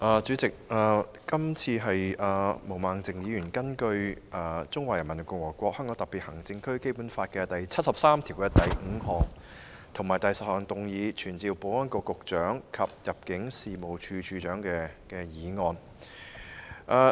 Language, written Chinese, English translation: Cantonese, 主席，毛孟靜議員根據《中華人民共和國香港特別行政區基本法》第七十三條第五項及第十項動議議案，旨在傳召保安局局長及入境事務處處長。, President Ms Claudia MO has moved a motion under Article 735 and 10 of the Basic Law of the Hong Kong Special Administrative Region of the Peoples Republic of China to summon the Secretary for Security and the Director of Immigration